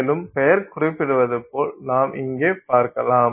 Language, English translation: Tamil, And so as the name suggests you can see here this is your sample